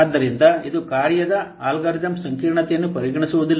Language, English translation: Kannada, So, it does not consider algorithm complexity of a function